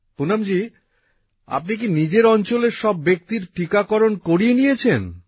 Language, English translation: Bengali, Poonam ji, have you undertaken the vaccination of all the people in your area